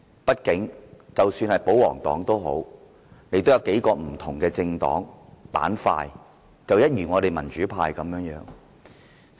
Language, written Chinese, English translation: Cantonese, 畢竟，即使保皇黨也有數個不同的政黨板塊，民主派亦然。, After all the pro - establishment camp is also made up of a few different political parties so is the democratic camp